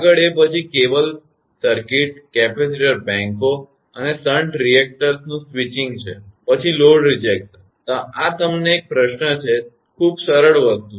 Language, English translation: Gujarati, Next is then switching cable circuit, capacitor banks and shunt reactors, then load rejection; this is a question to you; very simple thing